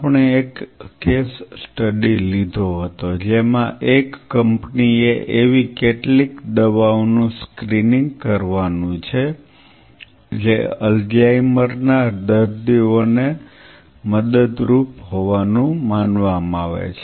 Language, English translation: Gujarati, So, we took a case study that a company has to screen few drugs which are believed to help Alzheimer’s patients